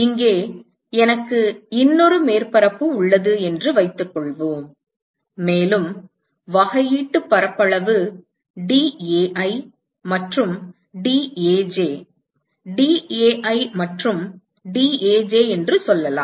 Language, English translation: Tamil, And let us say I have another surface here, and the differential area is let us say dAi and dAj, dAi and dAj